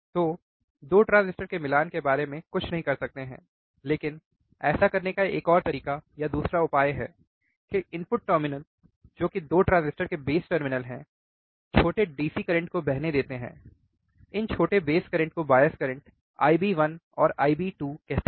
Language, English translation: Hindi, So, we cannot do anything regarding the matching of the 2 transistors, but there is another way or another solution to do that is the input terminals which are the base terminal transistors do not current small DC, this small base currents of the transistors nothing but the bias currents I B 1 and I B 2